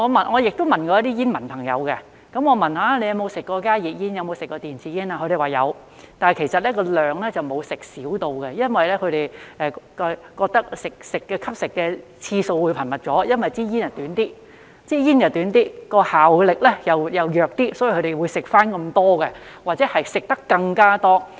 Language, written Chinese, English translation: Cantonese, 我亦曾詢問一些煙民朋友他們有否吸食加熱煙或電子煙，他們表示有，但其實吸煙量並沒有因而減少，反而是吸食得更頻密因為煙比較短、效力比較弱，所以他們認為吸食量一樣，甚至是更加多。, I have also asked some friends who are smokers whether they have smoked HTPs or e - cigarettes and they said they have but they have not smoked less as a result . Instead they have smoked more frequently because the cigarette is shorter and less potent . So they think they have been smoking the same amount or even more